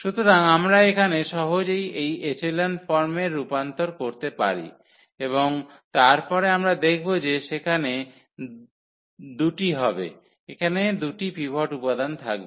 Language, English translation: Bengali, So, we can easily convert to this echelon form here and then we will see there will be 2; there will be 2 pivot elements here